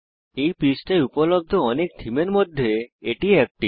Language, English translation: Bengali, This is one of many themes available on this page